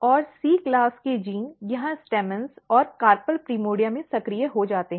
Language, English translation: Hindi, And C class genes get activated here in the stamens and carpel primordia